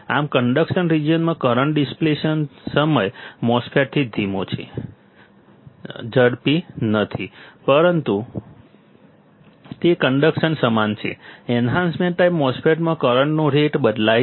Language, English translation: Gujarati, Thus, in the conduction region the current rate of a depletion time MOSFET is not slower not faster, but its equal to the conduction; the current rate of change in enhancement type MOSFET